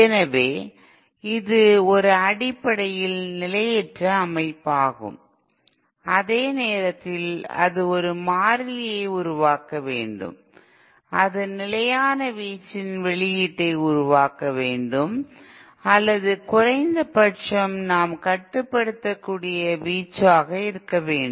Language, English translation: Tamil, So it is a fundamentally unstable system, at the same time it has to produce a constant, it has to produce an output of constant amplitude or at least the amplitude that we should be able to control